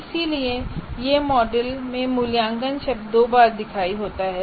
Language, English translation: Hindi, So that is why evaluate word appears twice in this model